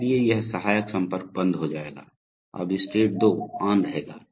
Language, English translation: Hindi, So therefore, this auxiliary contact will be closed, so therefore now state 2 will be on